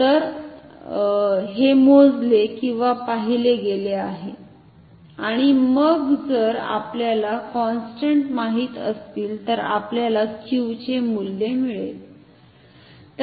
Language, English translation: Marathi, So, this is measured or observed and then if we know these constants if we measure thetaf we can find the value of Q